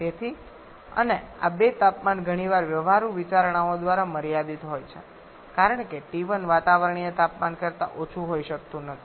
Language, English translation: Gujarati, So, and these 2 temperatures are quite often limited by the practical considerations because t1 cannot be lower than atmospheric temperature